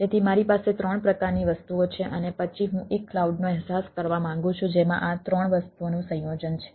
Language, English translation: Gujarati, so i have three type of things and then i have i i want to realize a cloud which has a combination of a these three things